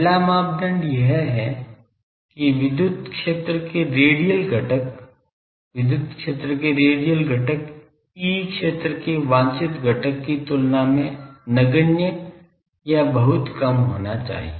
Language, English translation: Hindi, The first criteria is that the radial component of the electric field radial component of electric field should be insignificant or much much less than the desired component desired component of E field